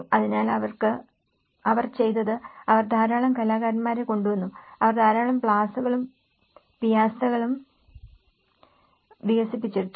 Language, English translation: Malayalam, So, what they did was, they brought a lot of artists, they develops lot of plazas and the piazzas